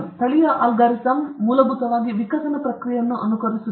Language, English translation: Kannada, Genetic algorithm basically mimics the process of evolution